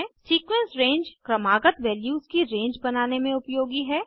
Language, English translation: Hindi, Sequence range is used to create a range of successive values